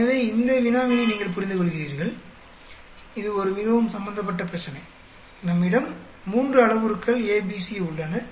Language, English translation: Tamil, So, you understand this problem; it is quite an involved problem, we have three parameters A, B, C